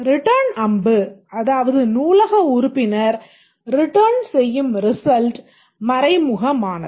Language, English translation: Tamil, The return arrow that is the result that is written by the library member is implicit